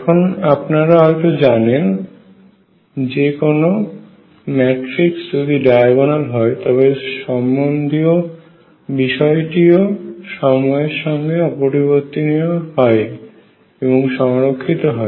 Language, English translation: Bengali, Recall that whenever there is a matrix which is diagonal; that means, the corresponding quantity does not change with time and is conserved